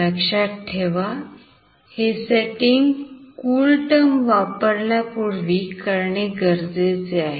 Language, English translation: Marathi, This setting must be done prior to using this CoolTerm